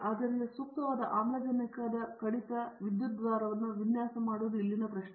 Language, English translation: Kannada, Therefore, the designing proper oxygen reduction electrode is the question here